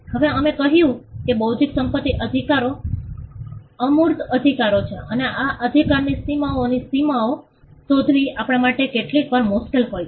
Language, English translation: Gujarati, Now we said that intellectual property rights are intangible rights and it is sometimes difficult for us to ascertain the contours of this right the boundaries of this right